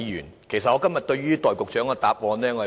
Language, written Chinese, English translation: Cantonese, 我非常不滿今天局長的答案。, I am very dissatisfied with the Secretarys answer